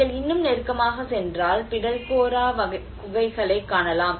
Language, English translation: Tamil, \ \ \ And if you go further closer and this is what we can see the Pitalkhora caves